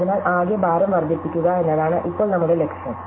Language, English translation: Malayalam, So, now our aim is to maximize the total weight